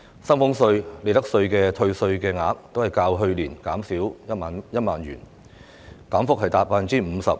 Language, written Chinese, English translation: Cantonese, 薪俸稅和利得稅的退稅額都較去年減少1萬元，減幅達 50%。, The amount of salaries tax and profits tax concessions has been reduced by 10,000 or 50 % compared with last year